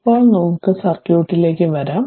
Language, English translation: Malayalam, So, now let us come to the circuit